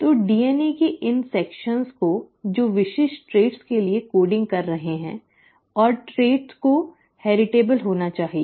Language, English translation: Hindi, So these sections of DNA which are coding for specific traits and the traits have to be heritable